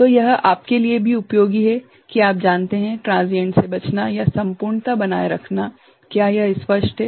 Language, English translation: Hindi, So, this also is useful for you know, avoiding transients or maintaining the integrity, is it clear